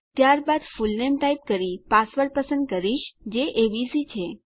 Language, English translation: Gujarati, Then type my fullname and I am going to choose a password which is abc